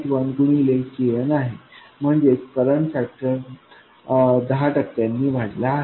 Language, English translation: Marathi, 1 times KM, that is the current factor has increased by 10%